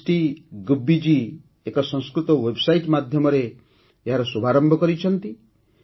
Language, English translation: Odia, It has been started by Samashti Gubbi ji through a website